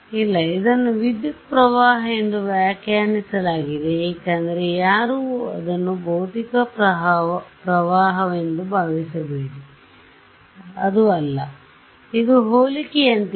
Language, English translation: Kannada, No, it is interpreted as a current because no do not think of it as a physical current it is not a it is like a the comparison is with